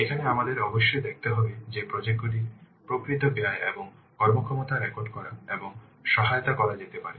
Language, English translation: Bengali, Here we must have to see that the actual costing and performance of projects can be recorded and assessed